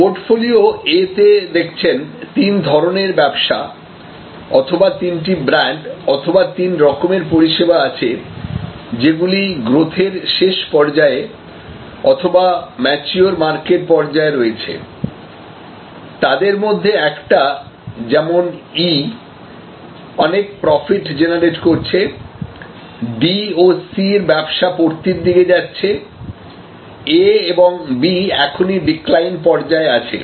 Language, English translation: Bengali, And here you seen portfolio A, you have three business or three brands or three types of service offerings, in the late growth and mature market stage, which means one of them E is at a high profit generations own and the D and C are kind of a approaching decline and A, B are already in the decline mode